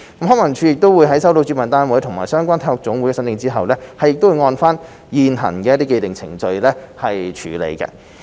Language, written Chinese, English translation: Cantonese, 康文署在收到主辦單位及/或相關體育總會的申請後，會按照現行的程序處理。, Upon receipt of the applications from the organizer andor the relevant NSAs LCSD will process their applications in accordance with the current procedure